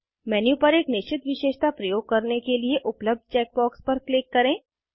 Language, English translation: Hindi, etc To use a particular feature on the menu, click on the check box provided